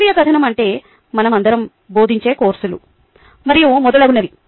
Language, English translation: Telugu, scientific narrative is what we all do, like teaching papers and so on, so forth